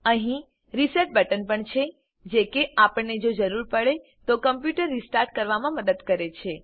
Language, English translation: Gujarati, There is a reset button, too, which helps us to restart the computer, if required